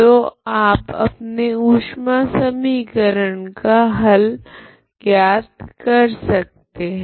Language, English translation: Hindi, How we derived this heat equation